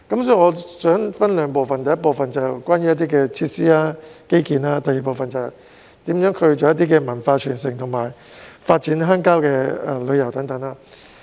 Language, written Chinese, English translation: Cantonese, 所以，我想分兩部分談談，第一部分是關於設施和基建，第二部分是如何促進文化傳承和發展鄉郊旅遊等。, For this reason I wish to divide my discussion into two parts . The first part concerns facilities and infrastructure; and the second part pertains to the question of how to facilitate cultural inheritance and develop rural tourism